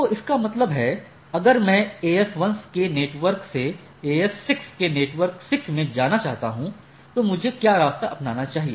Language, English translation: Hindi, So that means, if I want to go from network say n 1 1 of AS 1 to network 6 2 of a n 6 2 of say a 6 then, what are the path I need to follow right